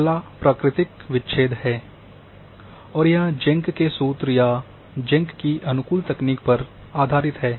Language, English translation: Hindi, The next one is the natural breaks or it is based on the Jenk’s formula or Jenk’s optimization technique